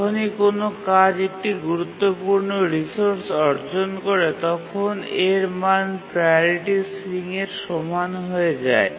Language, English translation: Bengali, And whenever a task acquires a resource, a critical resource, its priority becomes equal to the ceiling